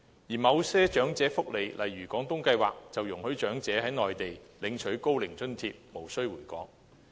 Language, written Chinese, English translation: Cantonese, 而某些長者福利計劃，例如"廣東計劃"，則容許長者在內地領取高齡津貼，無需回港。, Meanwhile there are other welfare schemes for the elderly such as the Guangdong Scheme which allows elderly persons to receive Old Age Allowance while staying on the Mainland